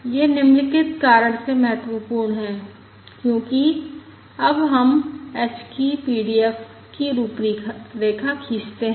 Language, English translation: Hindi, This is important for the following reason: because now let us plot the PDF of h